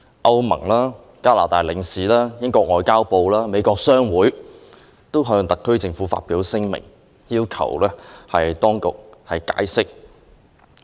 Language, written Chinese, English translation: Cantonese, 歐盟、加拿大領事、英國外交及聯邦事務部及美國商會均已發出聲明，要求特區政府解釋。, The European Union the Consul General of Canada the Foreign and Commonwealth Office of the United Kingdom and the American Chamber of Commerce have issued statements to demand an explanation from the SAR Government